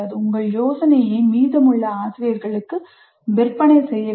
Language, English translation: Tamil, So you have to sell your idea to the rest of the faculty